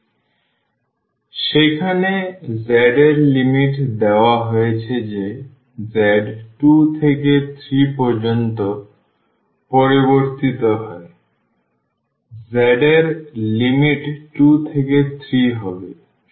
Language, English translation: Bengali, So, the z limits trivially given there that z varies from 2 to 3; so, the limits of z 2 to 3